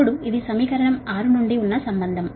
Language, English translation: Telugu, this is the relationship from equation six, right